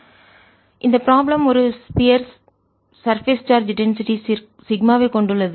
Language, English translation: Tamil, so the problem is: a sphere carries surface charge, density, sigma